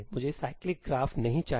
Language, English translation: Hindi, I do not want a cyclic graph